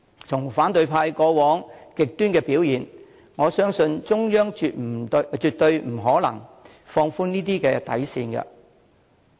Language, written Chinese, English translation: Cantonese, 從反對派過往極端的表現，我相信中央絕不可能放寬這些底線。, Owing to the radicalism of the opposition camp in the past I do not think that it will ever be possible for the Central Authorities to yield on these bottom lines